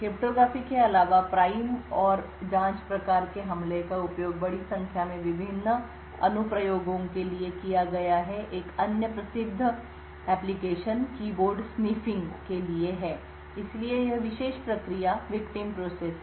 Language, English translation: Hindi, Besides cryptography the prime and probe type of attack have been used for a larger number of different applications, one other famous application is for keyboard sniffing, so this particular process is the victim process